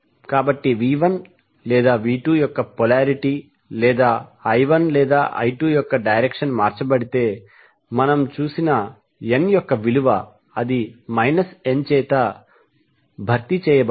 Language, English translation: Telugu, So if the polarity of V 1 and V 2 or the direction of I 1 and I 2 is changed, the value of N which we have just saw, we need to be replaced by minus n